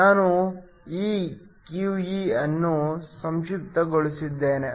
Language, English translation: Kannada, I am going abbreviate this s QE